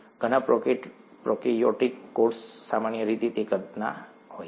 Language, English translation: Gujarati, Many prokaryotic cells are of that size typically speaking